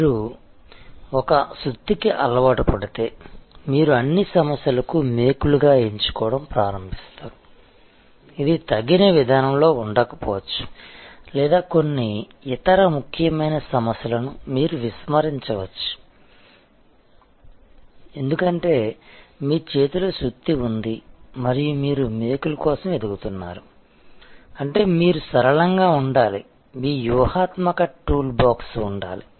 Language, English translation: Telugu, If you get used to a hammer, then you will start choosing all problems as nails, which may not be at all the appropriate approach or you might neglect some other very important problems, because you have the hammer in your hand and you are looking for nails, which means that you must remain flexible, you must have a strategic toolbox